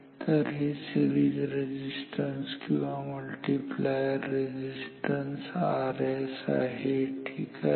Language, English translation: Marathi, So, this is the series resistance or multiplier resistance R s ok